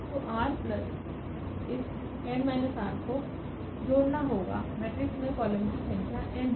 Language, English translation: Hindi, So, r plus this n minus r must add to n, the number of the columns in the matrix